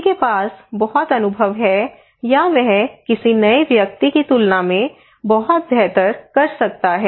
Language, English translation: Hindi, Somebody has lot of experience he or she can deliver much better than a new person a fresh person